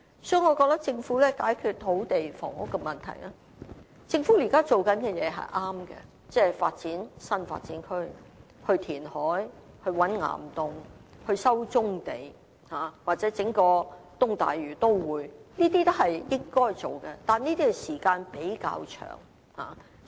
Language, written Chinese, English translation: Cantonese, 所以，我認為要解決土地及房屋問題，而政府現時做的工作是對的，即發展新發展區、填海、覓岩洞、收回棕地，或規劃一個東大嶼都會，這些均是應該做的，但需時較長。, I therefore think that we must solve the land and housing problem and what the Government has been doing is right . I mean it is right in building new development areas undertaking reclamation looking for caves and caverns resuming brownfields and planning for an East Lantau Metropolis . All of these are things should be done but they need time to complete